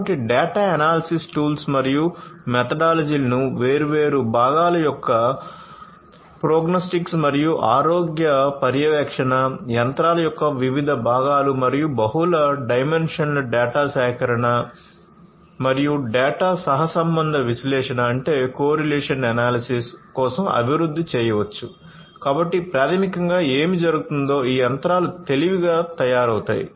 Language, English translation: Telugu, So, data analysis tools and methodologies can be developed for the prognostics and health monitoring of different components, different parts of the machines, and for multi dimensional data collection, and data correlation analysis